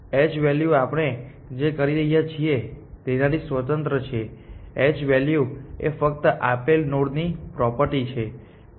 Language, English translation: Gujarati, H value is independent of what we are doing, H value is simply a property of a given node